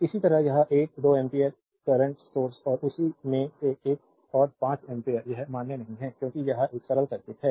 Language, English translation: Hindi, Similarly, this 1 2 ampere currents source and another 5 ampere in the same it is not valid because it is a simple circuit